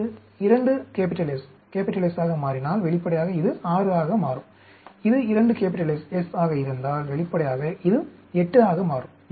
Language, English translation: Tamil, If this becomes 2 S, S then obviously, this will become 6, and if it is 2 S, S then, obviously, this will become 8